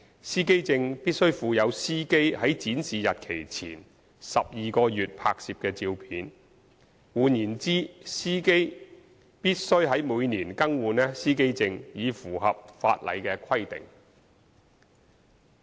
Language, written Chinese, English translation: Cantonese, 司機證必須附有司機在展示日期前12個月內拍攝的照片，換言之，司機必須每年更換司機證以符合法例規定。, The driver identity plate must bear the drivers photo taken not earlier than 12 months before the day of display; in other words the driver must renew the plate annually in order to meet the statutory requirement